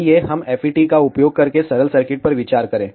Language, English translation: Hindi, Let us consider simple circuit using FET